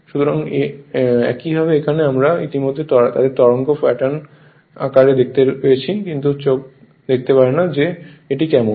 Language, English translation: Bengali, So, similarly here your what you call already we were see their wave form the pattern, but eyes you cannot see that how is it right